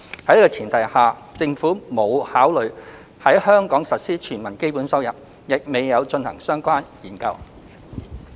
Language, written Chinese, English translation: Cantonese, 在此前提下，政府沒有考慮在香港實施"全民基本收入"，亦未有進行相關研究。, Premising on this the Government has not considered implementing the Universal Basic Income in Hong Kong nor conducted any relevant studies on it